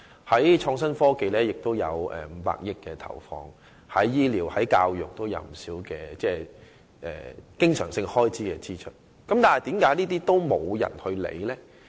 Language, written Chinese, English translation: Cantonese, 除了在創新科技上有500億元的投放，醫療和教育方面亦有不少經常性開支的支出，但為何卻沒有人理會呢？, Apart from 50 billion injected into innovation and technology there is also quite a number of recurrent expenditure in the areas of medical service and education but why is there nobody to take notice of that?